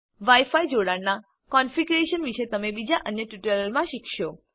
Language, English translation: Gujarati, You will learn about configuring wi fi connections in another tutorial